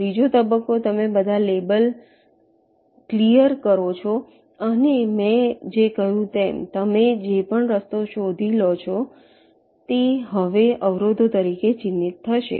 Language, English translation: Gujarati, so what you do during the third phase, third phase, you clear all the labels and what i have said, that whatever path you have found out, this will be marked as obstacles